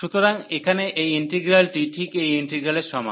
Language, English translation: Bengali, So, here this integral is is exactly this integral